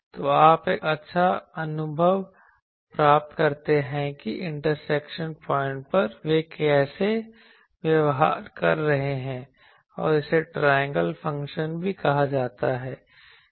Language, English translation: Hindi, So, that you get a good feel that how the at the intersection point how they are behaving and this is called also triangle function